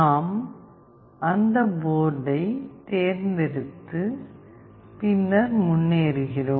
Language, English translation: Tamil, We select that board and then we move on